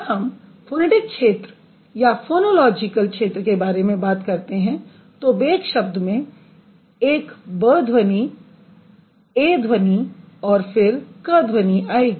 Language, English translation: Hindi, So, when you are talking about the phonetic domain or the phonological domain for that matter, bake will have a burs sound, a sound and then cur sound